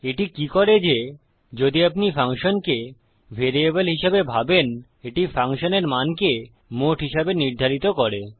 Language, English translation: Bengali, What this does is If you think of the function as a variable it sets the functions value as the total